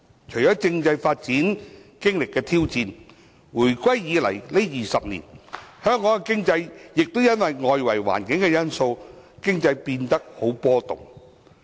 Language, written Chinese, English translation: Cantonese, 除了政制發展經歷的挑戰，回歸20年，香港經濟亦因為外圍環境因素而變得波動。, Apart from the challenges of constitutional development over the 20 years following the reunification our economy has also experienced fluctuations owing to external environmental factors